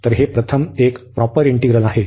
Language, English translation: Marathi, So, this is a proper integral